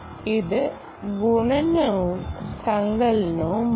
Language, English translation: Malayalam, this is multiplication and addition